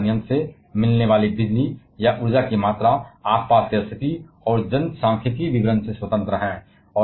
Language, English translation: Hindi, They the amount of electricity or energy that we get from nuclear plant is independent of the surrounding condition and the demographic details